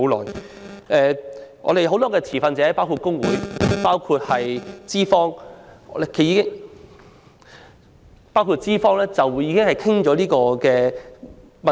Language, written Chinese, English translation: Cantonese, 當中很多持份者——包括工會和資方——均已多次討論《條例草案》所牽涉的問題。, Issues concerning the Bill have been discussed repeatedly among many stakeholders including trade unions and employers